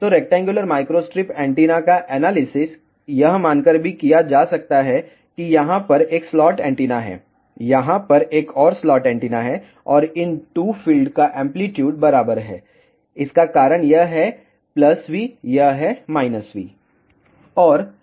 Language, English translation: Hindi, So, the analysis of rectangular microstrip antenna can also be done by assuming that there is a 1 slot antenna over here, there is a another slot antenna over here, and the amplitude of these 2 fields are equal the reason is this is plus V this is minus V